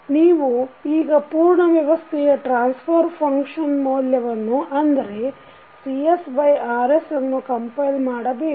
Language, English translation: Kannada, You now compile the value that is the transfer function of the complete system that is Cs upon Rs